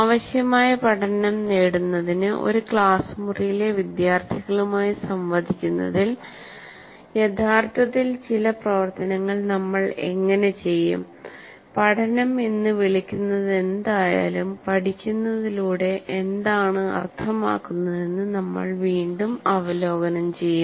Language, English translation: Malayalam, Now what we will do is how do we actually do certain activities in interacting with the students in a classroom to achieve the required learning, whatever we call learning, we will again once again review what we mean by learning